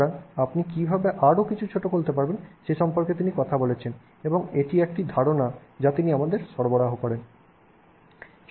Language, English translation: Bengali, So, he talks about how you would go about making something smaller and this is an idea that he provides us with